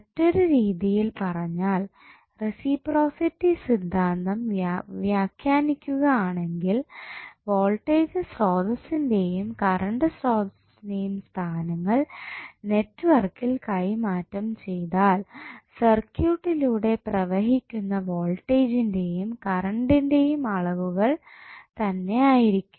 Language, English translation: Malayalam, Now, in other words, you can also say that reciprocity theorem can be interpreted as when the places of voltage source and current in any network are interchanged the amount of magnitude of voltage and current flowing in the circuit remains same